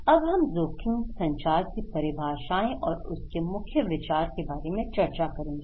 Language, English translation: Hindi, Now, we are discussing about the risk communication definitions and core ideas